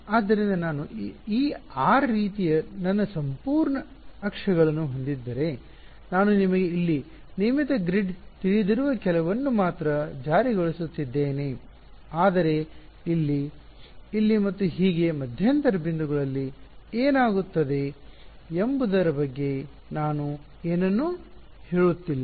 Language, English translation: Kannada, So, if I had my whole axes like this r, I am only enforcing it at some you know regular grid of points over here, but I am not saying anything about what happens at intermediate points over here, here, here and so on right